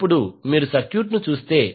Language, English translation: Telugu, Now, if you see the circuit